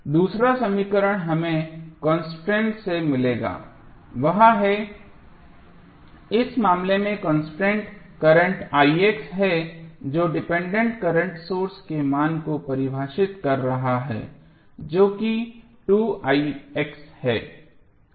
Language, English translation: Hindi, The second equation we will get from the constraint equation that is the constraint in this case is current i x which is defining the value of dependent current source that is 2i x